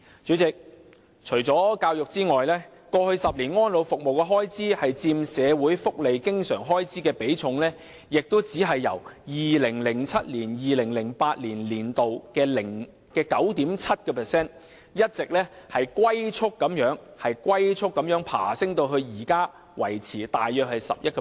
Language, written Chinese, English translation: Cantonese, 主席，除教育外，安老服務開支佔社會福利經常開支的比重在過去10年亦只是由 2007-2008 年度的 9.7%， 一直龜速爬升至現時維持在大約 11%。, President apart from education the share of elderly services expenditure in recurrent social welfare expenditure has likewise increased at a snails pace over the past decade from 9.7 % in 2007 - 2008 to around 11 % at present